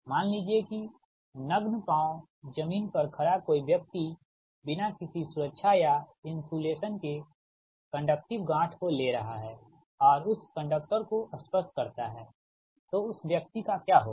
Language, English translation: Hindi, suppose a man standing on the ground with bare feet, say with no, no proper protection or insulation, and taking a conductive knot and touching that conductor, what will, what will happen to that parcel